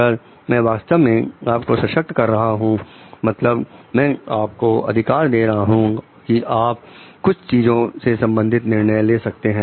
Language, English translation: Hindi, If I am truly empowering you means I am giving you the authority to take decisions regarding certain things